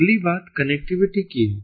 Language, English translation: Hindi, the next thing is the connectivity